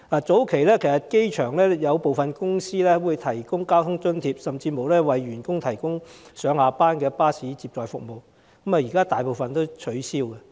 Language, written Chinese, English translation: Cantonese, 早期，有部分在機場營運的公司會為員工提供交通津貼，甚至上下班巴士接載服務，但大部分現已取消。, Earlier on certain companies operating at the airport would offer transport subsidies for their employees or even shuttle bus services during their commuting hours . But most of such initiatives have been cancelled by now